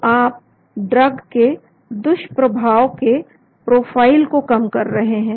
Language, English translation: Hindi, so you are reducing the side effect profile of the drug